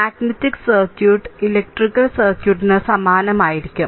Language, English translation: Malayalam, So, you will find magnetic circuit also will be analogous to almost electrical circuit, right